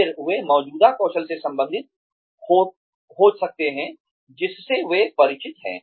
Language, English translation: Hindi, Then, they can relate to the existing skills, that they are familiar with